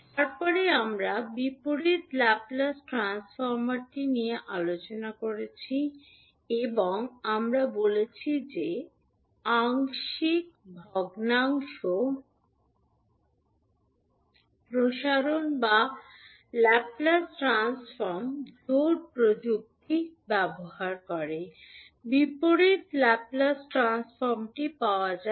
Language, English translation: Bengali, Then we discussed the inverse Laplace transform and we said that the inverse Laplace transform can be found using partial fraction expansion or using Laplace transform pairs technique